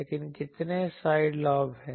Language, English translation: Hindi, But, how many side lobes are there